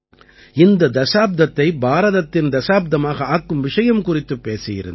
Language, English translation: Tamil, I had also talked about making this decade the Techade of India